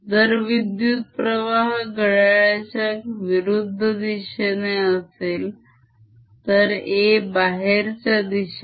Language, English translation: Marathi, if the current direction is counter clockwise, a would be coming out